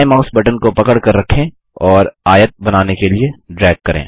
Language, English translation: Hindi, Hold the left mouse button and drag to draw a rectangle